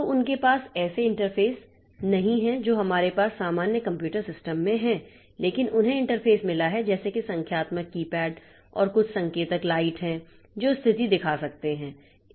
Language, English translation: Hindi, So, they have they don't have interfaces that we have in general computer systems but they have got interfaces like say numeric keypad and some indicator lights here and there that can show the status